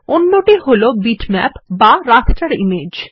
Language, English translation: Bengali, The other is bitmap or the raster image